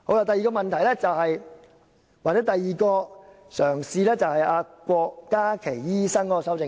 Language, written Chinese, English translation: Cantonese, 第二，又或是第二個嘗試，就是郭家麒醫生提出的修正案。, The second question concerns an amendment proposed by Dr KWOK Ka - ki